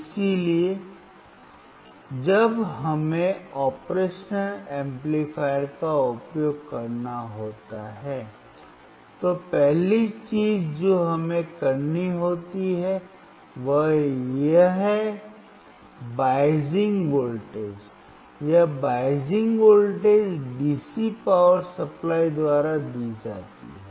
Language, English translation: Hindi, So, when we have to use operational amplifier, the first thing that we have to do is apply the biasing voltage, this biasing voltage is given by the DC power supply